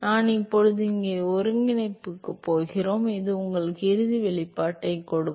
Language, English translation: Tamil, I am now going to the integration here, this give you the final expression